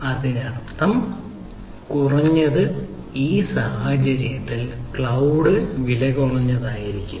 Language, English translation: Malayalam, so that means, at least in this case, cloud will be cheaper, right, ah